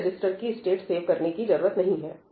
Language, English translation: Hindi, Okay, I need to save the state of register